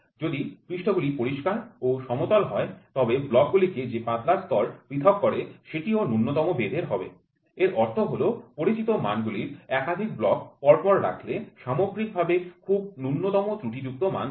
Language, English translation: Bengali, If the surfaces are clean and flat the thin layer of film separating the block will also have negligible thickness this means that stacking of multiple blocks of known dimensions will give the overall dimension with minimum error